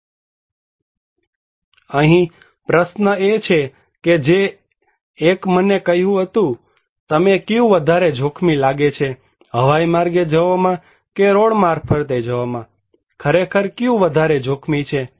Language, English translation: Gujarati, But here is the question; which one told me; which one you feel is more risky, going by air or going by road, which one actually more risky